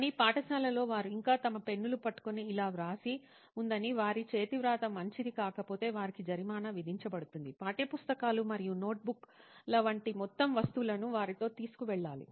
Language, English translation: Telugu, But at school they face that they still have to write and hold their pens like this, they are penalized if their handwriting is not good, they have to carry a whole bunch of things with them like textbooks and notebooks